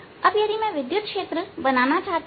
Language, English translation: Hindi, so that means we want to know the electric field